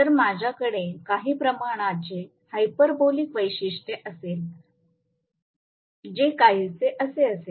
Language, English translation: Marathi, So, obviously I will have, you know, some kind of hyperbolic characteristics may be something which will be somewhat like this